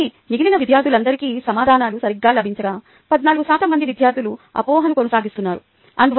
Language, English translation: Telugu, ok, so while all the remaining students got the answers right, fourteen percent students continue to have the misconception